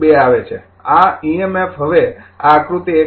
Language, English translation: Gujarati, 2 will come, this emf now this figure 1